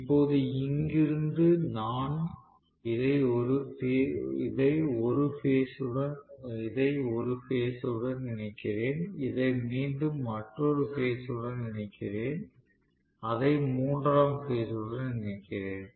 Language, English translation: Tamil, Now, from here I am connecting this probably to one of the phases, I am again connecting this to another phase and I am connecting it to the third phase right